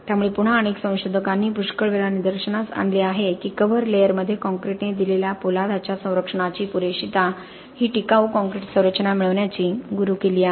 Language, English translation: Marathi, So again as many researchers have pointed out multiple number of times the adequacy of protection to steel offered by concrete in the cover layer is the key to obtaining durable concrete structures